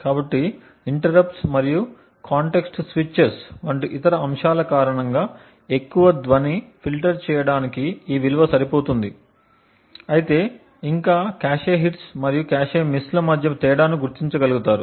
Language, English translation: Telugu, So, this value should be good enough to filter out most of the noise due to interrupts and other aspects like context switches and so on but yet the big large enough to permit or to be able to distinguish between cache hits and cache misses